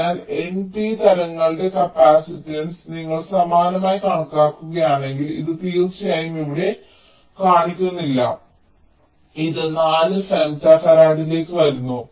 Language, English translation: Malayalam, so if you similarly estimate the capacitance of those of those n and p type, this comes to, of course, here it is not shown it comes to four, femto farad